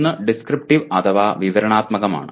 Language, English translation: Malayalam, One is descriptive